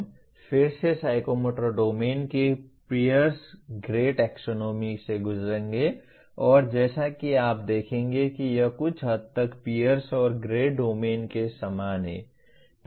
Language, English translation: Hindi, We will go through again Pierce Gray taxonomy of psychomotor domain and as you will see it is somewhat runs similar to the Pierce and Gray classification of affective domain as well